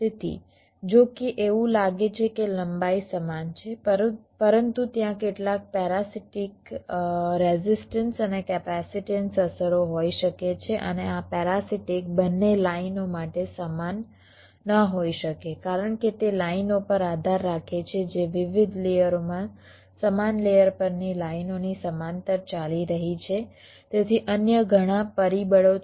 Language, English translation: Gujarati, so, although it looks like the lengths are equal, but there can be some parasitic, resistance and capacitance effects, right, and these parastics may not be the same for both the lines because it depends on the lines which are running parallel to those lines on the same layer across different layers